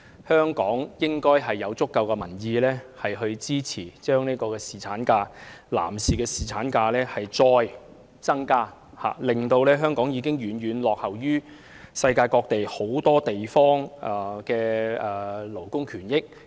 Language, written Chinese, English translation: Cantonese, 香港應有足夠的民意支持再增加侍產假，以改善香港遠遠落後於世界各地的勞工權益。, Hong Kong should have sufficient popular support to further extend paternity leave so as to improve labour rights and interests which lag far behind the rest of the world